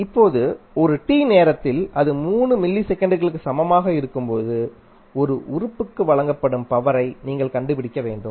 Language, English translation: Tamil, now, you need to find out the power delivered to an element at time t is equal to 3 milliseconds